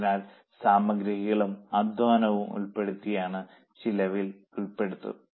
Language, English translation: Malayalam, So, what is not included material and labour will be included in the expense